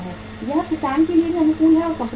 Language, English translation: Hindi, That remains optimum for the farmer also and for the company also